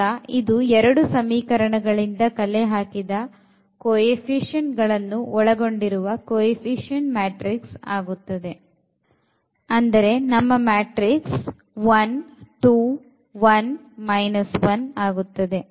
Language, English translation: Kannada, So, this will be the coefficient matrix where we will collect the coefficient from the first equation that is 1 and 2 there